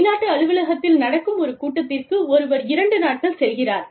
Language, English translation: Tamil, Somebody goes to a foreign office, for two days, for a meeting